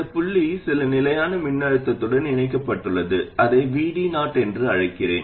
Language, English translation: Tamil, And this point is connected to some fixed voltage, let me call that VD 0